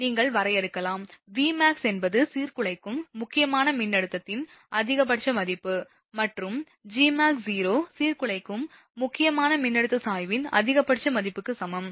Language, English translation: Tamil, Let us you define, the Vmax is the maximum value of the disruptive critical voltage, and Gmax superscript 0 Gmax 0 is equal to maximum value of disruptive critical voltage gradient